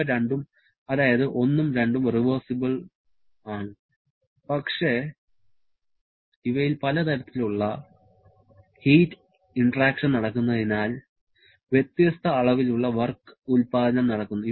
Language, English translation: Malayalam, Both 1 and 2 are reversible nature but they are having different kinds of heat interaction producing different amount of work